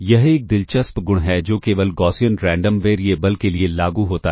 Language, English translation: Hindi, It is an interesting property that is applicable only for the Gaussian Random Variables